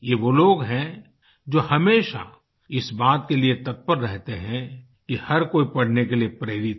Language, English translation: Hindi, These are people who are always eager to get everyone inspired to study